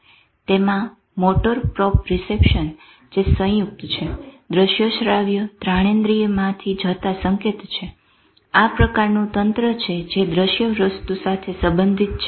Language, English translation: Gujarati, This is a motor proprioception that is the thing is going from the joint, visual, auditory olfaction and this is the type of network which connects with visual thing